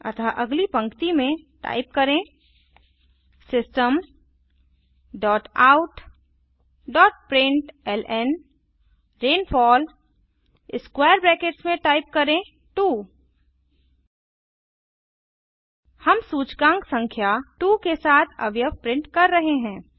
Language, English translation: Hindi, So on the Next line, type System dot out dot println rainfall in square brackets type 2 We are printing the element with the index number 2